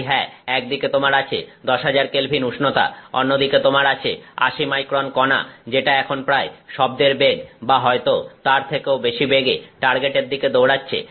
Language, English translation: Bengali, So, yes on the one hand you have 10,000K, on the other hand you have an 80 micron particle which is now moving at around the speed of sound or maybe even more than the speed of sound and racing towards a target